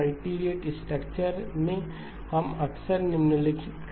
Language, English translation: Hindi, In multirate structures, we often do the following